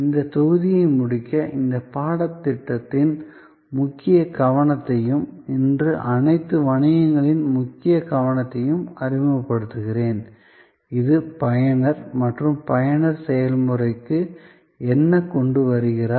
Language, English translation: Tamil, To end this module, I will introduce the key focus of this course and of all businesses today, which is the user and what the user brings to the process